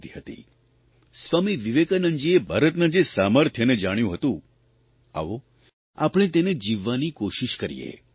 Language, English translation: Gujarati, Come, let us look anew at India which Swami Vivekananda had seen and let us put in practice the inherent strength of India realized by Swami Vivekananda